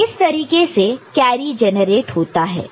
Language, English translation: Hindi, So, now that is the way the carry is getting generated